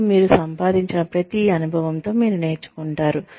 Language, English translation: Telugu, And, you learn with every experience, that you garner